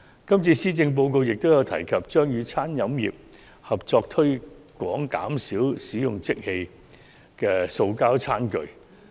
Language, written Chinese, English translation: Cantonese, 今年的施政報告亦有提及與餐飲業合作推廣減少使用即棄塑膠餐具。, The Policy Address this year has also mentioned about working with the food and beverage industry to promote using less disposable plastic tableware